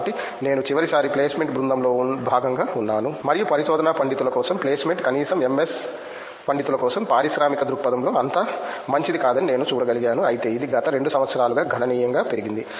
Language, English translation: Telugu, So, I was part of the placement team last time and I could see that the placement for the research scholars, at least for the MS scholars it was not that good in the industrial perspective, but it has significantly increased over the last 2 years